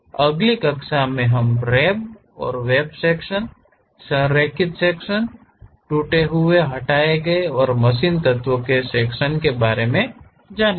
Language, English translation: Hindi, In the next class we will learn about rib and web sections, aligned sections, broken out, removed and machine elements